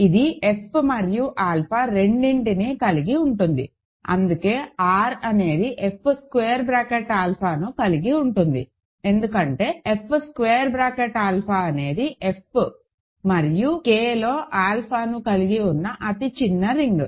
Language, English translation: Telugu, So, it contains both F and alpha, hence R contains F square bracket alpha, because F square bracket alpha is the smallest ring containing F and alpha in K